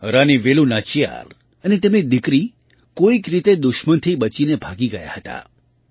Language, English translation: Gujarati, Queen Velu Nachiyar and her daughter somehow escaped from the enemies